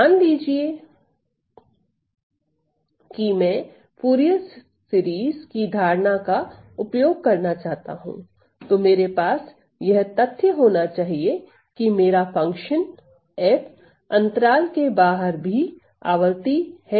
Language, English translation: Hindi, So, suppose I want to use the concept of Fourier series, we must have the fact that outside the interval my function f has to be 2 a periodic